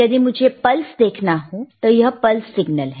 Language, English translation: Hindi, If I want to see the pulse, then I can see the pulse, right